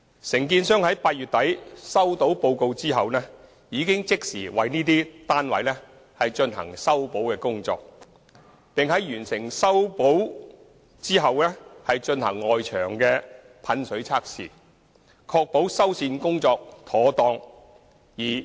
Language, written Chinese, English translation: Cantonese, 承建商在8月底收到報告後已即時為這些單位進行修補工作，並在完成修補後進行外牆噴水測試，確保修繕工作妥當。, Upon receipt of the reports in late August 2017 the contractor immediately carried out remedial works at these flats . Water tightness tests were also conducted at the external walls afterwards to ensure that the repair works were carried out properly